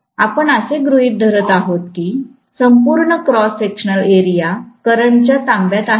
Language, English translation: Marathi, You are going to assume that the entire cross sectional area is occupied by the current